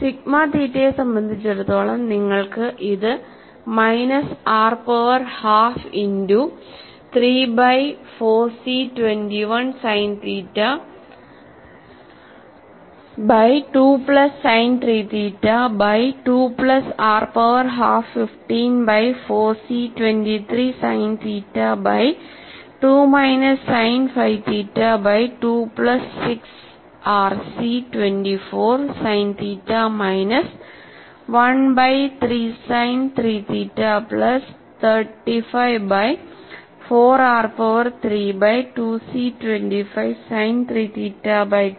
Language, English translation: Malayalam, And for sigma theta, you have this as minus r power minus half multiplied by 3 by 4 C 21 sin theta by 2 plus sin 3 theta by 2 plus r power half 15 fifteen by 4 C 23 sin theta by 2 minus sin 5 theta by 2 plus 6 r C 24 sin theta minus 1 by 3 sin 3 theta plus 35 by 4 r power 3 by 2 C 25 sin 3 theta by 2 minus sin 7 theta by 2